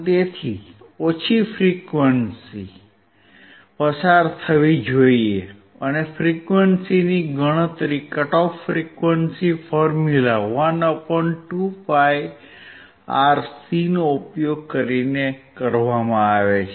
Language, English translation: Gujarati, So, low frequencies should pass and the frequency is calculated using the cut off frequency formula 1 /